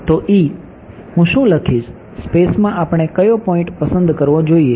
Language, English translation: Gujarati, So, E what do I write, what point in space should we choose